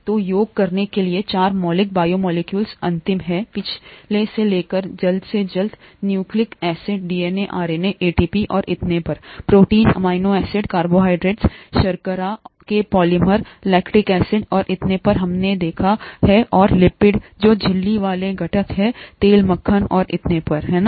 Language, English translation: Hindi, So to sum up, there are 4 fundamental biomolecules last, from last to the earliest, nucleic acids, DNA, RNA, ATP and so on, proteins, polymers of amino acids, carbohydrates, sugars, lactic acid and so on that we have seen and lipids which are membrane components, oil, butter and so on, right